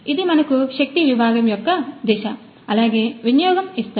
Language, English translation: Telugu, So, this gives us the force section to direction as well as utilization